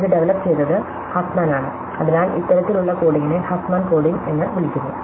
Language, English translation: Malayalam, So, this is an algorithm called by develop Huffman and this type of coding is call Huffman coding